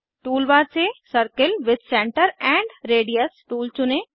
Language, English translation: Hindi, Select the Circle with Center and Radius tool from tool bar